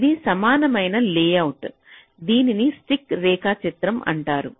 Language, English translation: Telugu, this is an equivalent layout and this is called a stick diagram